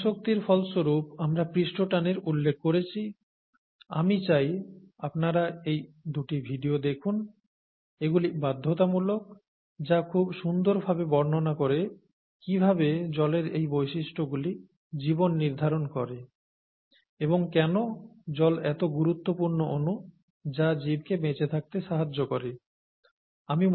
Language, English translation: Bengali, We talked of surface tension and so on as an outcome of cohesion, and I would like you to watch these two videos, you can take these as compulsory, which explain nicely how these properties determine life, how these properties of water determine life and why water is such an important molecule which makes life possible, okay